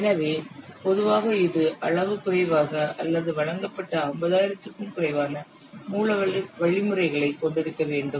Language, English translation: Tamil, So, normally its size is less than or should be less than 50,000 delivered source instructions